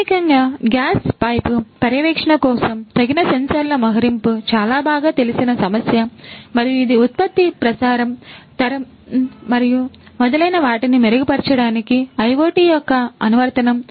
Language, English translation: Telugu, So, basically the deployment of appropriate sensors for gas pipe monitoring is a is a very well known problem and that is an application of IoT to improve the production, the transmission, the generation and so on